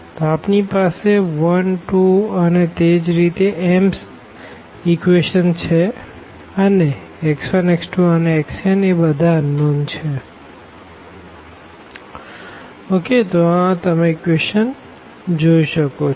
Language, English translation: Gujarati, So, we have 1 2 and so, on m equations and x 1 x 2 x 3 x n these are the unknowns